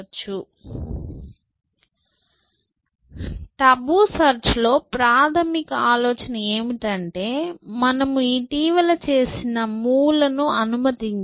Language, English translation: Telugu, So, basic idea in tabu search is to have this notion that you do not allow moves we are made recently